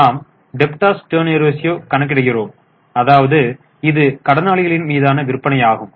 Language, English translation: Tamil, We calculate daters turnover ratio which is sales upon debtors